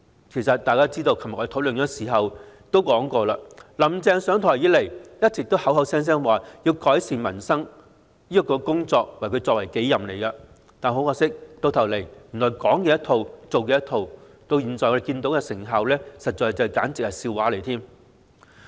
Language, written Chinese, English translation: Cantonese, 其實眾所周知，昨天辯論時也提到"林鄭"上台以來一直聲稱以改善民生為己任，但可惜最終是"講一套、做一套"，而我們現在看到的成效簡直是笑話！, As mentioned in the debate yesterday we are actually aware that since her assumption of office Carrie LAM has been claiming that she is committed to improving peoples livelihood . But regrettably she has eventually failed to walk her talk and as we can see now the effectiveness is nothing but a joke!